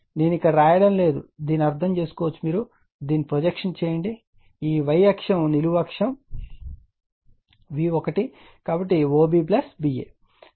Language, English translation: Telugu, I am not writing here it is understandable just make it your projection on this your on this your on this your what you call on this y axis vertical axis say your V 1, right, so OB plus BA